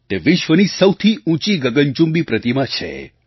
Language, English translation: Gujarati, This is the world's tallest scyscraping statue